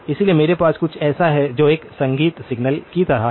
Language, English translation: Hindi, So, I have some something which is like a music signal